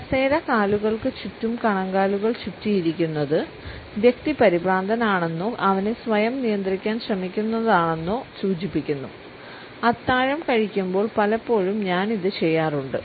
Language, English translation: Malayalam, Ankles hooked around the chair legs shows the person is nervous or trying to control him or herself; I find myself doing this at dinner a lot